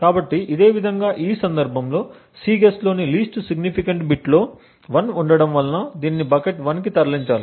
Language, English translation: Telugu, So, in a same way in this case he has the least significant bit of Cguess to be 1 and therefore this should be moved to bucket 1